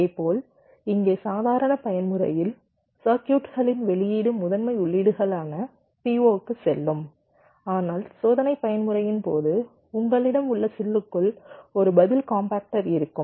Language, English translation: Tamil, ok, similarly here, in the normal mode the output of the circuit will go to the p o, the primary inputs, but during the test mode you have something called a response compactor inside the chip